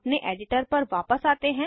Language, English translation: Hindi, Lets switch back to our editor